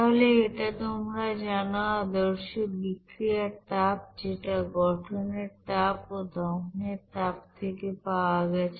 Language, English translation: Bengali, So this is the you know standard heat of reaction which are obtained from heat of combustion and heat of formation